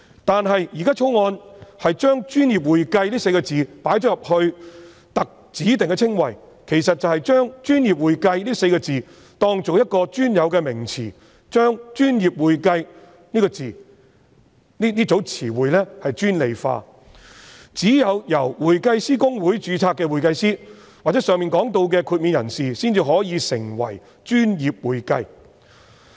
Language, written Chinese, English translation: Cantonese, 但是，《條例草案》把"專業會計"列為指定稱謂，其實便是把"專業會計"視作一個專有名詞，把"專業會計"這名詞專利化，只有公會註冊的會計師或上述獲豁免的人士才可以成為"專業會計"。, However by including professional accounting as a specified description the Bill has actually regarded it as a specific term and restricted its meaning to certified public accountants registered with HKICPA or anyone who has obtained the above mentioned exemption